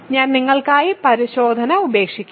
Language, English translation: Malayalam, So, I will leave the verification for you